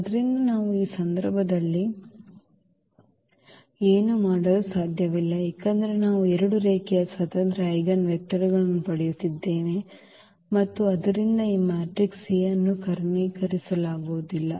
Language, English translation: Kannada, So, we cannot do in this case because we are getting 2 linearly independent eigenvectors and therefore, this matrix A is not diagonalizable